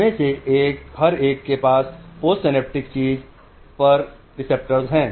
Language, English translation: Hindi, Each one of them has a receptor on the post synaptic thing